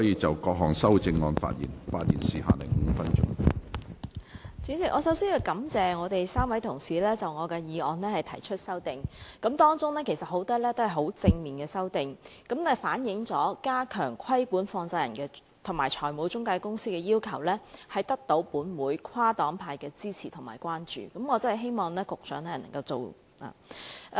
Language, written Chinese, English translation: Cantonese, 主席，我首先感謝3位同事就我的議案提出修正案，當中不少是正面的修訂，反映了加強規管放債人及財務中介公司的要求得到本會跨黨派的支持和關注，我確實希望局長可以推行。, President first I would like to thank the three Honourable colleagues for proposing amendments to my motion . Many of the amendments are positive proposals reflecting that the stepping up of the regulation of money lenders and financial intermediaries is supported by and the concern of all political parties and groupings of this Council . I earnestly hope that the Secretary will implement them